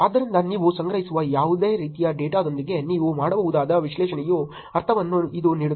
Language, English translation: Kannada, So, this is gives you a sense of the analysis that you can do with any kind of data that you collect